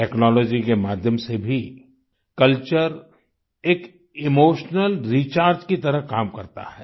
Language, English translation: Hindi, Even with the help of technology, culture works like an emotional recharge